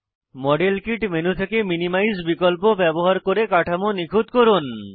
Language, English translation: Bengali, Use minimize option in the modelkit menu to optimize the structure